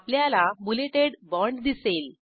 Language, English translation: Marathi, You will see a bulleted bond